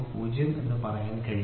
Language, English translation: Malayalam, 02, ok, this 0